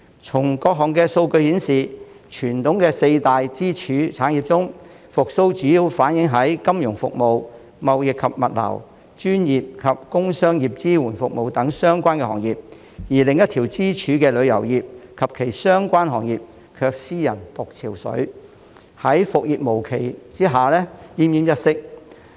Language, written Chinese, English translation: Cantonese, 從各項數據顯示，傳統的四大支柱產業中，復蘇主要反映在金融服務、貿易及物流、專業及工商業支援服務等相關行業，而另一條支柱的旅遊業及其相關行業卻斯人獨憔悴，在復業無期下奄奄一息。, The various figures show that of the traditional four pillar industries the recovery is mainly seen in financial services trading and logistics and professional and producer services while the other pillar tourism and related sectors is left alone in distress and dying without knowing when business can be resumed